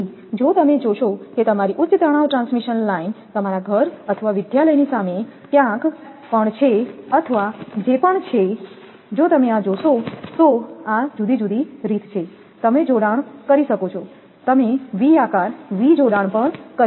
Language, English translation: Gujarati, So, if you observe the your high tension transmission line anywhere in front of your house or college or whatever it is, if you see this then you will see that this is the different way it is connected you can say v shape also v connection